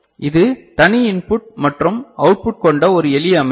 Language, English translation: Tamil, So, this is one a simple organization right with separate input and output